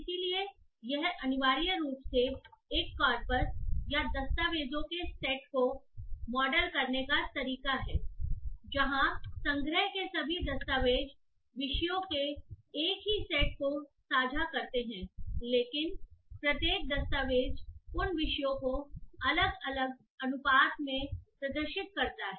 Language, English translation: Hindi, So it essentially is a way to model a corpus or a set of documents where all the documents in the collection share the same set of topics but each document exhibits those topics in different proportions